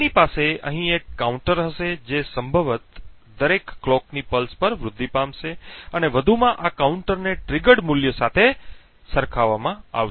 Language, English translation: Gujarati, We would have a counter over here which possibly gets incremented at every clock pulse and furthermore this counter is compared with the triggered value